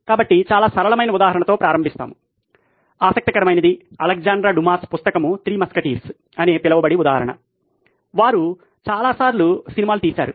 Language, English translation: Telugu, So we will start with very very simple example, an interesting one, an example from Alexandra Dumas book called ‘Three Musketeers’ which is so many times they’ve taken movies